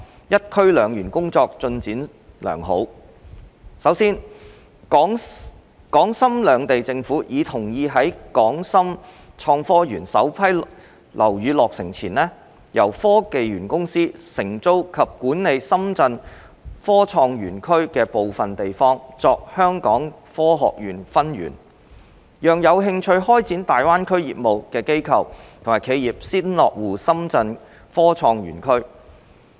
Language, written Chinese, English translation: Cantonese, "一區兩園"工作進度良好：首先，港深兩地政府已同意在港深創科園首批樓宇落成前，由科技園公司承租及管理深圳科創園區的部分地方作香港科學園分園，讓有興趣開展大灣區業務的機構和企業先落戶深圳科創園區。, The initiative of one zone two parks is in good progress Firstly the governments of Hong Kong and Shenzhen have agreed that before the completion of the first batch of buildings in HSITP the Hong Kong Science and Technology Parks Corporation will lease and manage certain areas of Shenzhen Innovation and Technology Zone as a branch of the Hong Kong Science Park so that the institutes and enterprises that are interested in starting their business in GBA can first establish a presence in the Shenzhen Innovation and Technology Zone